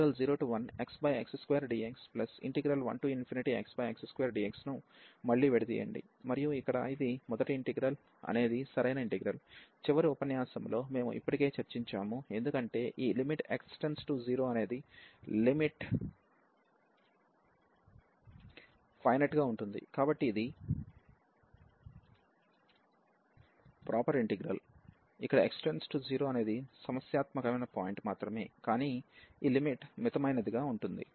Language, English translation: Telugu, And this the first integral here is a proper integral, we have discussed already in the last lecture, because this limit as x approaches to 0 is finite; so this is a proper integral where that was the only problematic point as x approaching to 0, but this limit is finite